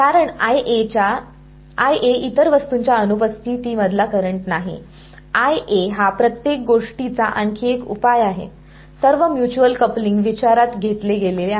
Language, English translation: Marathi, Because I A is not the current in the absence of the other object, I A is come other solution of everything all the mutual coupling has been taken into account